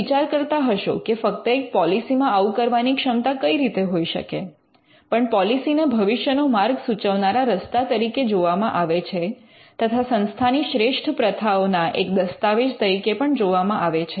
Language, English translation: Gujarati, Now, you may wonder how just the policy can do that because the policy is seen as a road map to the future and the policy is also seen as a document that captures good practices